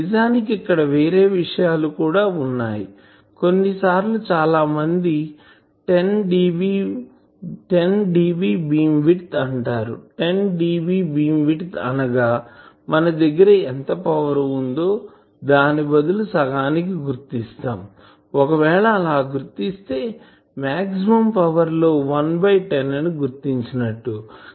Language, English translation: Telugu, Now, actually we could have some other points also, like sometimes people say 10dB beamwidth; 10dB beamwidth means that whatever power we have instead of locating the half if I locate the one tenth power of the maximum